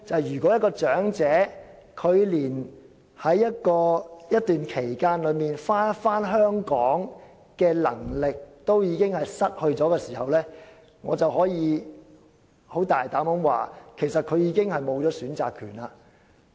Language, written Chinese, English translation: Cantonese, 如果有長者連在一段時間內返回香港的能力亦已失去，我可以大膽說句，他其實已失去選擇權。, If an elderly person has even lost the ability to return to Hong Kong within a certain time frame then I dare say that he has actually lost his right to choose